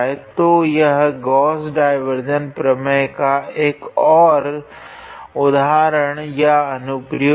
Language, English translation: Hindi, So, this is another example or application of Gauss divergence theorem